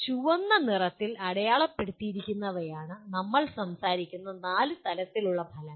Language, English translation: Malayalam, The ones marked in red are the four levels of outcomes we are talking about